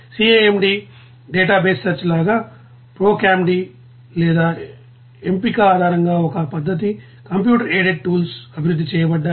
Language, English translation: Telugu, Like CAMD database search also one method based on which you know proCAMD or selection, computer aided tools of each you know developed